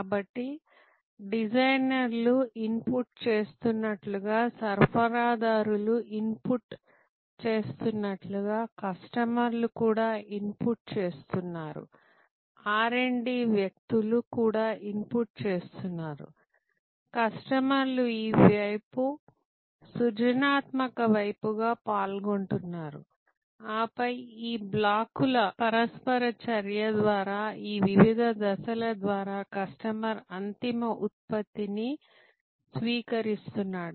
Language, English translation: Telugu, So, customer is also inputting just as designers are inputting, suppliers are inputting, R& D people are inputting, customers are participating on this side, the creative side and then, through this various steps through the interaction of these blocks, customer is receiving the end product